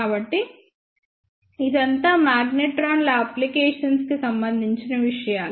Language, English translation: Telugu, So, this is all about the applications of the magnetrons